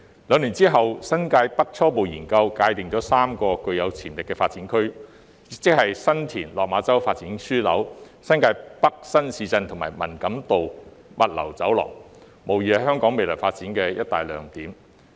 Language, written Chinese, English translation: Cantonese, 兩年後，《新界北初步研究》界定了3個具潛力的發展區，即新田/落馬洲發展樞紐、新界北新市鎮及文錦渡物流走廊，無疑是香港未來發展的一大亮點。, Two years later the Preliminary Feasibility Study on Developing the New Territories North identified three potential development areas namely the San TinLok Ma Chau Development Node the New Territories North New Town and Man Kam To Logistics Corridor which will undoubtedly be a major highlight of Hong Kongs future development